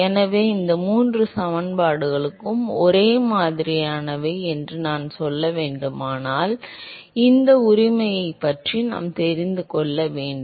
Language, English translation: Tamil, So, if I have to say that these three equations are similar then I need to know something about this right